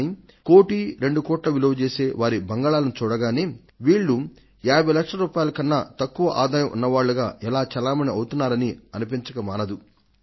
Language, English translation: Telugu, Just looking at their bungalows worth 1 or 2 crores, one wonders how they can be in a tax bracket of less than 50 lakhs